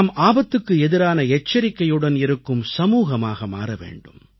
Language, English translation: Tamil, We'll have to turn ourselves into a risk conscious society